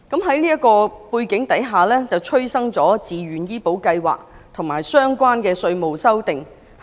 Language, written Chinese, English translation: Cantonese, 在這個背景下，自願醫保計劃及相關的稅務修訂應運而生。, Against this background VHIS and amendments to the Inland Revenue Ordinance have emerged